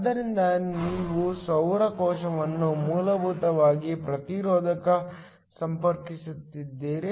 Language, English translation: Kannada, So, you have the solar cell essentially connected to a resistor